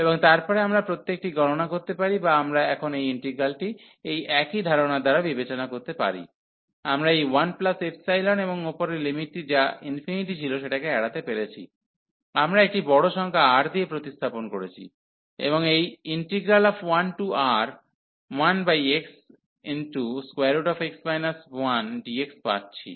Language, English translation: Bengali, And then we can evaluate each one or we can consider now this integral the same idea, that we have avoided here this one by taking this 1 plus epsilon, and the upper limit which was infinity, we have replaced by a number R a large number R, and taking this 1 over x and this x minus 1 dx